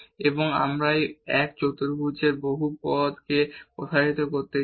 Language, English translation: Bengali, And we want to expand this only the quadratic polynomial around this point 1 1